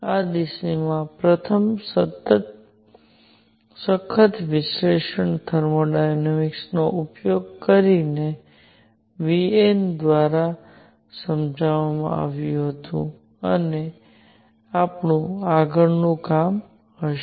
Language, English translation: Gujarati, The first rigorous analysis in this direction, again using thermodynamics was done by Wien and that will be our next job to do